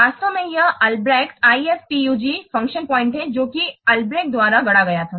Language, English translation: Hindi, Actually this Albrecht IF PUG function point it was coined by Albrecht